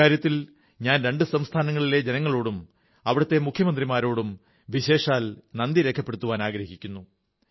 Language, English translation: Malayalam, I would like to especially express my gratitude to the people and the Chief Ministers of both the states for making this possible